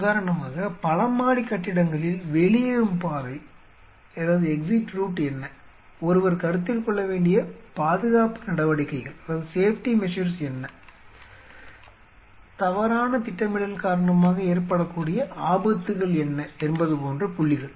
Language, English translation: Tamil, So, for examples some multi storey building or whatever you know, what are what will be the exit route, what are the safety measures one has to consider what are the possible hazard which may arise because of ill planning